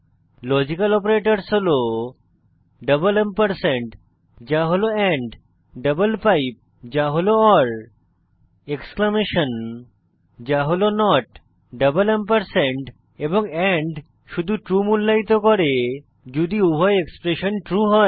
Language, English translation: Bengali, Logical Operators are, double ampersand () that is double pipe that is Exclamation (.) that is and and evaluate to true only if both the expressions are true